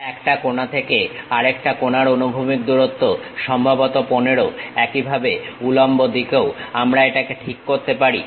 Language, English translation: Bengali, From one of the corner to other corner, the horizontal distance supposed to be 15; similarly, vertical also we can adjust it